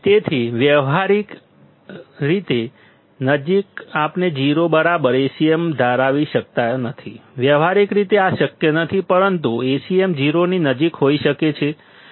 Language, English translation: Gujarati, So, practically we cannot have Acm equal to 0; practically this is not possible, but Acm can be close to 0